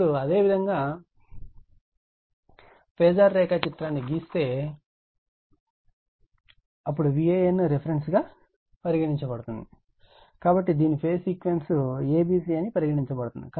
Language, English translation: Telugu, Now, if you draw the phasor diagram, then V a n is the reference one, so we call this is the phase sequence is a b c